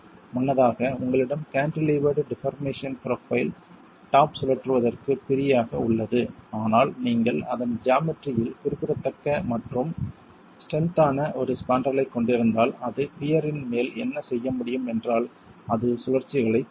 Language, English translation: Tamil, Earlier you had a cantilever deformation profile, top was free to rotate but when you have a spandrel which is significant in its geometry and strong then what it can do to the top of the pier is that it can prevent the rotations